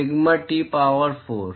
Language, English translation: Hindi, Sigma T power four